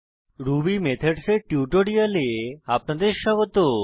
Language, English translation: Bengali, Welcome to the Spoken Tutorial on Ruby Methods